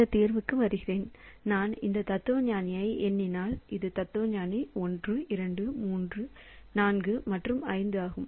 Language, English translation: Tamil, So, coming to this solution, so if I number this philosopher, so this is philosopher, this is philosopher 1, 2, 3, 4 and 5